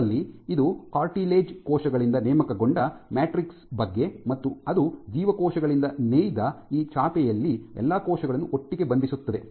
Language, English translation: Kannada, So, in this case this is a matrix recruited by the cartilage cells and it binds all the cells together into this through this mat which is woven by the cells themselves